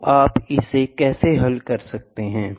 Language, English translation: Hindi, So, how do you solve it